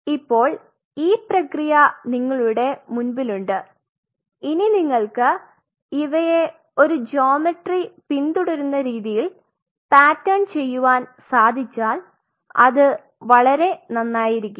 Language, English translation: Malayalam, So, you have the process in front of you now and if you can pattern them to follow a geometry that will be even better if you can really do that